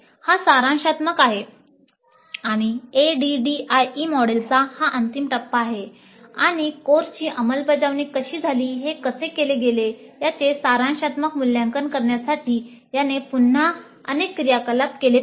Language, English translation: Marathi, This is summative and this is the final phase of the ID model and this essentially has again several activities towards summative evaluation of how the course has taken place, how the course was implemented